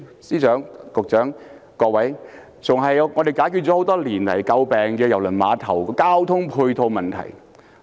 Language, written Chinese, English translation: Cantonese, 司長、局長、各位議員，這更能解決多年來為人詬病的郵輪碼頭交通配套的問題。, Financial Secretary Secretaries and Members this reclamation proposal can even improve the poor ancillary transport facilities for the Cruise Terminal after years of criticism